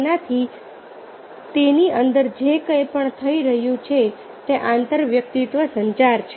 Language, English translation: Gujarati, so anything which is happening within that is intrapersonal communication